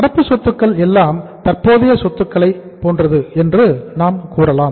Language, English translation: Tamil, So current assets are like say uh we say current assets